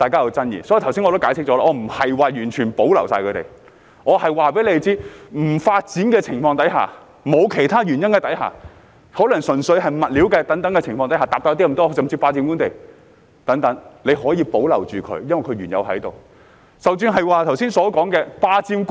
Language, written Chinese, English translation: Cantonese, 故此，我剛才已解釋，我不是說要一概保留，而是告訴大家，在不發展的情況下，或沒有其他原因，可能純粹是物料改變、面積大了一點，甚至是霸佔官地等情況下，當局可以保留它們，因為它們原本已在該處。, Therefore I have explained just now that I am not suggesting to retain all squatter structures but rather telling Members that if there is no development or if there are no reasons other than maybe a change of material slightly too large an area or even unlawful occupation of government land the authorities can retain them having regard to the fact that they are already there